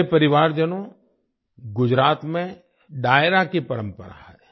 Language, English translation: Hindi, My family members, there is a tradition of Dairo in Gujarat